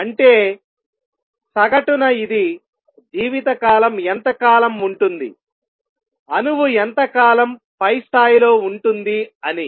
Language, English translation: Telugu, That means, on an average this is how long the lifetime is, this is how long the atom is going to remain in the upper level